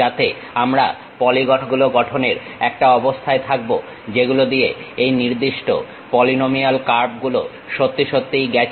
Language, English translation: Bengali, So, that we will be in a position to construct a polygons, through which this particular polynomial curve really passes